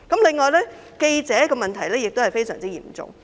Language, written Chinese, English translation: Cantonese, 此外，記者的問題也相當嚴重。, Besides the problems about journalists are very serious